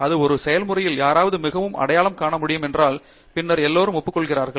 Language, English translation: Tamil, It is also not a process where, somebody highly recognized is able to tell and then everybody agrees